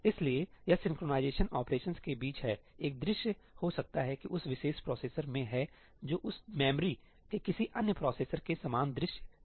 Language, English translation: Hindi, So, it is between the synchronization operations, there may be a view that that particular processor has which is not the same view as any other processor of that memory